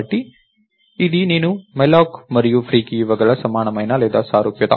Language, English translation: Telugu, or analogy that I can give you for malloc and free